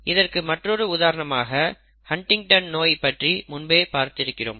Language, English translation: Tamil, We have already seen an example of Huntington’s disease earlier